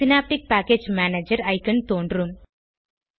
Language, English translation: Tamil, Synaptic Package Manager icon will be visible